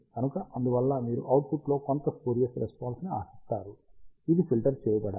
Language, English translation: Telugu, And hence, you will expect some spurious response in the output, which has to be filtered out